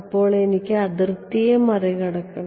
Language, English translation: Malayalam, So, I have to straddle the boundary right